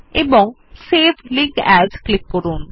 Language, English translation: Bengali, And click on Save Link As